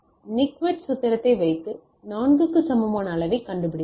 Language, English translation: Tamil, So, putting the Nyquist formula we found out the level equal to 4